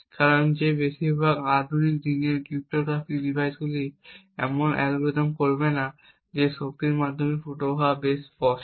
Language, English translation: Bengali, The reason being is that most modern day cryptographic devices would not be using such algorithms where the leakage through the power is quite obvious